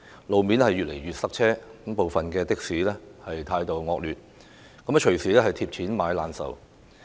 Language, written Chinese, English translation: Cantonese, 路面越來越塞車，部分的士司機的態度惡劣，乘客隨時"貼錢買難受"。, Traffic is more and more congested on roads; the attitude of some taxi - drivers is bad and it is not uncommon that passengers have paid only to get a bad experience in return